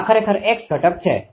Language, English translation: Gujarati, This is actually x component